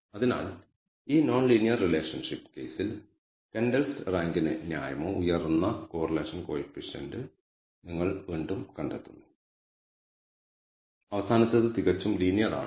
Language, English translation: Malayalam, So, in this case non linear relationship you find again a reasonably high correlation coefficient for Kendall’s rank and the last one again it is linear perfectly linear